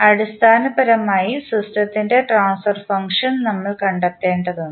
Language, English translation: Malayalam, Basically, we need to find out the transfer function of the system finally